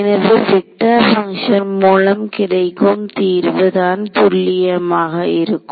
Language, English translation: Tamil, So, vector based formulations are much more accurate